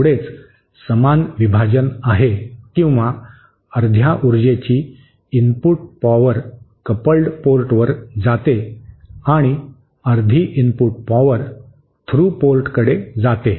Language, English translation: Marathi, That is equal division or half of the power goes input power goes to the coupled port and half of the input power goes to the through port